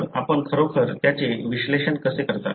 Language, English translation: Marathi, So, how do you really analyze that